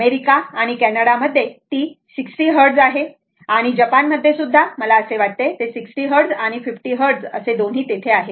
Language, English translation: Marathi, In USA, Canada, it is 60 Hertz and in Japan, I think it has 60 Hertz and 50 Hertz both are there right